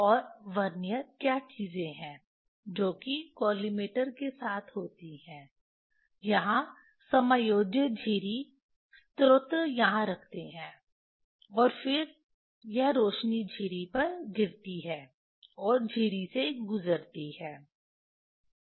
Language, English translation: Hindi, And Vernier what are the things with the collimator adjustable slit here, source put here, and then this light falls on the slit and pass through the slit